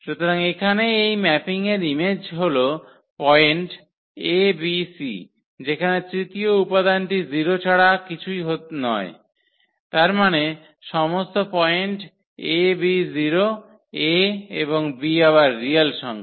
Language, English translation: Bengali, So, here the image of this mapping is nothing but all the points a b c whose third component is 0; that means, all the points a b 0; for a and b this belongs to again the real number